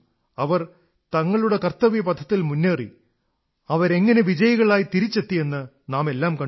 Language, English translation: Malayalam, They marched forward on their path of duty and we all witnessed how they came out victorious